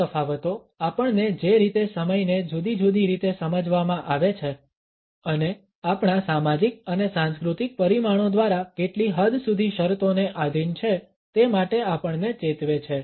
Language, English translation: Gujarati, These differences alert us to the manner in which time is perceived in different ways and the extent to which we are conditioned by our social and cultural parameters